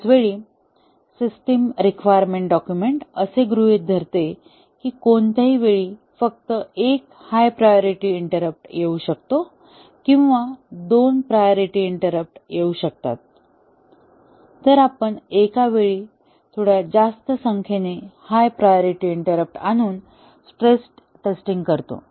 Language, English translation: Marathi, At the same time, if the system makes an assumption in the requirement document that any time only one high priority interrupt can come or two priority interrupt can come, we do the stress testing by having slightly more number of higher priority interrupt coming at a time